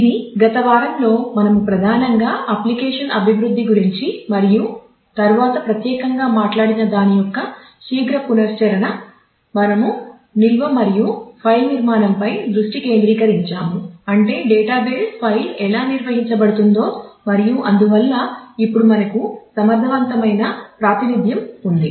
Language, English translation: Telugu, So, this is a quick recap of what we did in the last week primarily talking about application development and then specifically; we focused on storage and file structure that is how a database file can be stored how it can be organized and in a manner so that, we have efficient representation for that now